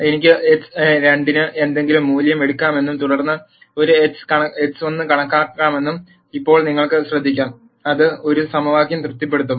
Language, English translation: Malayalam, Now you can notice that I can take any value for x 2 and then calculate an x 1, which will satisfy this equation